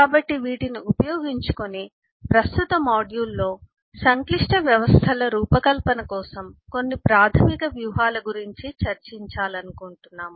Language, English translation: Telugu, so, equipped with all these eh, in the current module we would like to discuss about some basic strategies for design of complex systems